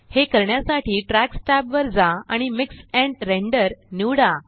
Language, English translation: Marathi, To do so, go to the Tracks tab and select Mix and Render